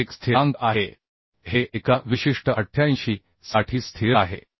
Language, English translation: Marathi, 85 it is a constant This is constant for a particular this 88